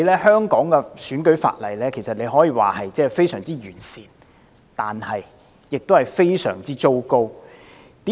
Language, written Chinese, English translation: Cantonese, 香港的選舉法例可以說是非常完善，但亦是非常糟糕。, The electoral legislation in Hong Kong can be considered very comprehensive and yet very bad